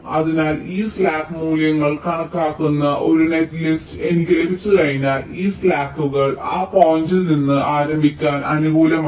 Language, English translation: Malayalam, so once i have a netlist with this slack values calculated and this slacks are positive, to start from that point